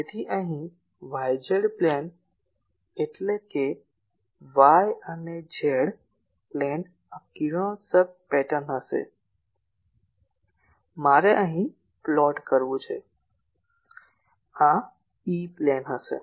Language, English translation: Gujarati, So, here the y z plane so that means, y and z plane this will be the radiation pattern I will have to plot here; this will be the E plane